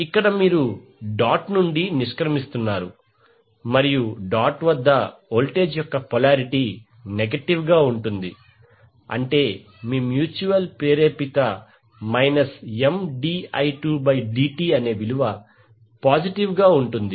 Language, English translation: Telugu, Since here you are exiting the dot and the polarity of the voltage at the dot is negative it means that your mutual induced would be M dI by dI 2 by dt which is positive